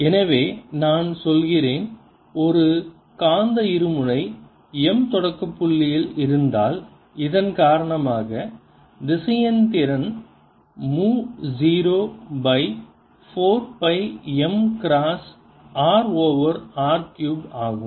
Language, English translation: Tamil, so we are saying that if i have a magnetic dipole m sitting at the origin, the vector potential due to this is mu zero over four pi m cross r over r cubed